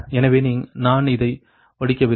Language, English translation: Tamil, so i am not reading this right